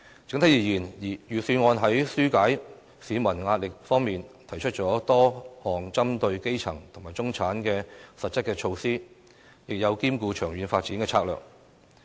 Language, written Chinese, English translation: Cantonese, 整體而言，預算案在紓解市民壓力方面，提出了多項針對基層及中產的實質措施，亦有兼顧長遠發展的策略。, On the whole the Budget has introduced concrete measures to alleviate the pressure of the grass - roots and middle - class people while also cater for the long - term development strategies